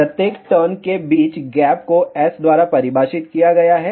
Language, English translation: Hindi, The spacing between each turn is defined by S